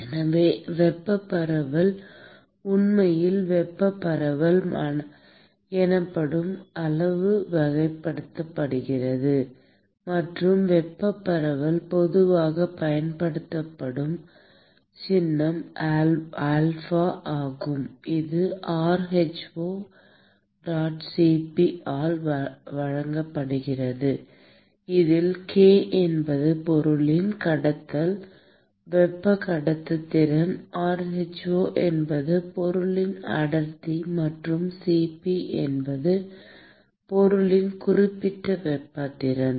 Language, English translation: Tamil, So, the thermal diffusion is actually characterized by a quantity called thermal diffusivity; and thermal diffuse the symbol that is typically used is alpha; which is given by k by rho*Cp, where k is the conduct thermal conductivity of the material, rho is the density of the material and Cp is the specific heat capacity of the material